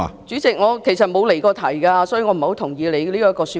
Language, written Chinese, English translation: Cantonese, 主席，其實我不曾離題，所以我不太認同你的說法。, President in fact I have never strayed from the question so I do not quite agree with your point